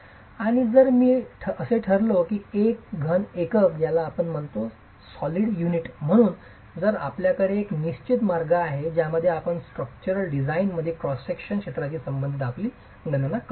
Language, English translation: Marathi, And if I were to classify that as a solid unit, then you have a certain way in which you will make a calculations as far as area of cross section is concerned for structural design